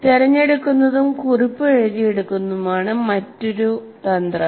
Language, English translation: Malayalam, And another one, another strategy is selecting and note taking